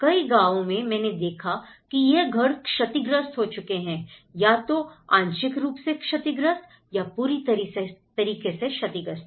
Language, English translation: Hindi, In many of the villages, where I have seen I visited that these damaged houses yes, they have been accounted that this has been partially damaged or fully damaged